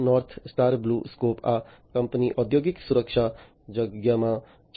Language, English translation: Gujarati, North Star BlueScope, this company is into the industrial safety space